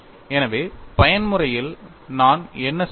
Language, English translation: Tamil, So, in the case of mode 1 what we did